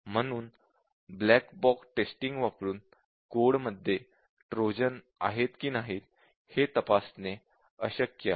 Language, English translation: Marathi, So, using black box testing, it is impossible to check whether there are Trojans in the code